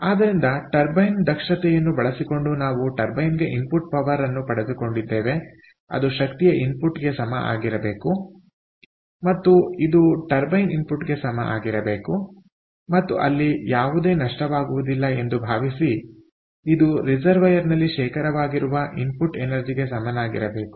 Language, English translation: Kannada, so, using the turbine efficiency, we got the input power to the turbine, which must be equal to the energy input, and our input energy to the turbine, and that must be equal to the input energy that was stored in the reservoir